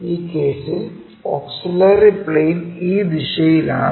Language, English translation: Malayalam, In the same our auxiliary plane is in this direction